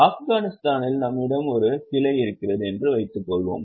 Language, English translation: Tamil, Suppose we are having a branch in Afghanistan